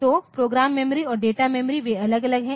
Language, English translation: Hindi, So, program memory and data memory they are separate